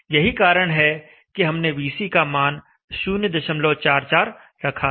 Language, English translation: Hindi, So that is why we had kept the VC value at 0